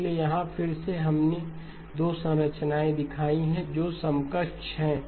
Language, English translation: Hindi, So here again we have shown 2 structures that are equivalent